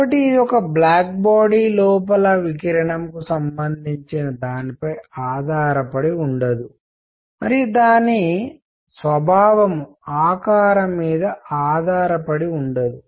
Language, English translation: Telugu, So, it does not depend radiation inside is that corresponding to a black body and its nature does not depend on the shape